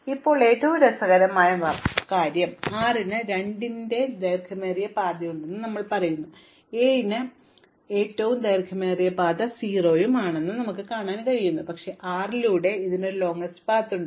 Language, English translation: Malayalam, Now, we shall do something interesting, so we say that 6 has a longest path of 2, 7 we so far have believed it has longest path of 0, but through 6 it has a longer path